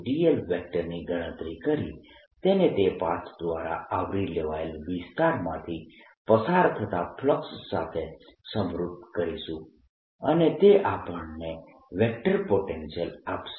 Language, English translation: Gujarati, calculate a dot d, l and equate this to the flux passing through that, the, the area covered by that path, and that'll give give us the vector potential